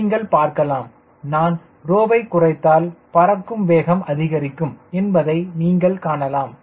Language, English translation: Tamil, you could see that if i reduce rho, cruise speed will increase